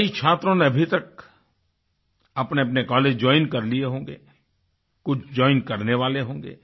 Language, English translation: Hindi, Some students might have joined their respective colleges and some must be about to join